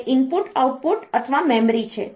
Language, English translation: Gujarati, So, it is input output or memory